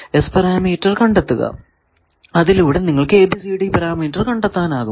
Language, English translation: Malayalam, That if you know S parameter, how to find ABCD parameter you can find this